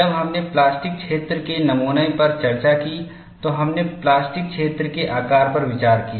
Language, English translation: Hindi, When we discussed modeling of plastic zone, we looked at from the plastic zone size consideration